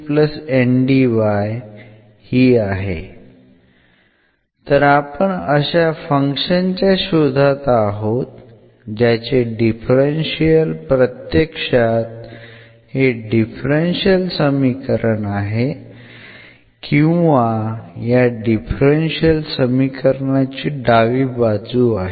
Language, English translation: Marathi, So that means, now what we are looking for we are looking for a function f whose differential is exactly this differential equation or rather the left hand side of this differential equation and